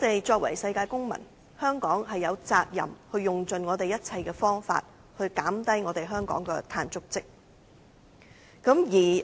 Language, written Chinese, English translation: Cantonese, 作為世界公民，香港有責任用盡一切方法減少香港的碳足跡。, As a global citizen Hong Kong is obliged to minimize its carbon footprint by all means